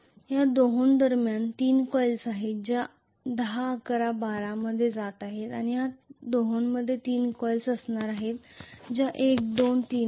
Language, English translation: Marathi, Between these two there are 3 coils which are going to be 10 11 and 12 and between these two there are going to be 3 coils which are 1, 2 and 3